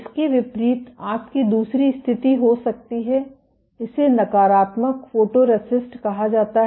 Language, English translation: Hindi, In contrast you can have the other situation this is called negative photoresist